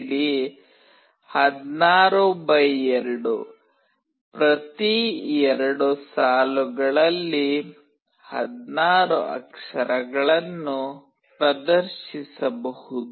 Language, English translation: Kannada, LCD16x2 can display 16 characters in each of two lines